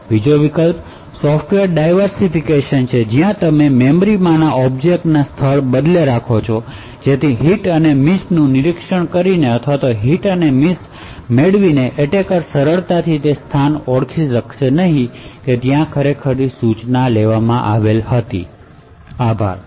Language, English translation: Gujarati, Another alternative is by software diversification where you permute the locations of objects in memory so that by monitoring the hits and misses or by obtaining the hits and misses, the attacker will not be easily able to identify what instruction was actually being executed at that location, thank you